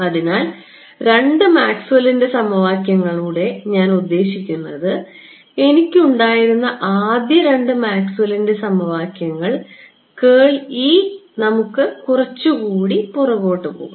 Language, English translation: Malayalam, So, the other two Maxwell’s equations that I mean the first two Maxwell’s equations that I had right this one curl of E let's go back further right